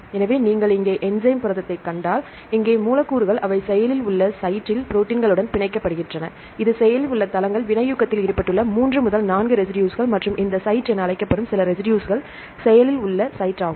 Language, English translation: Tamil, So, if you see the enzyme protein here, here the substrates, they bind with the proteins in the active site here this is the active sites, I mentioned that a few residues 3 to 4 residues which involved in the catalysis and this site is called the active site right